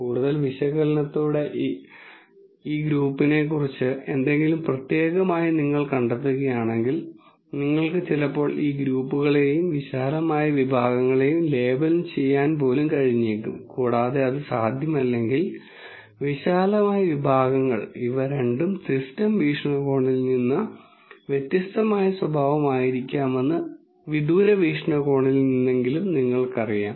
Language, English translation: Malayalam, Now if you find something specific about this group by further analysis, then you could basically sometimes maybe even be able to label these groups and the broad categories if that is not possible at least you know from a distance viewpoint that these two might be a different behavior from the system viewpoint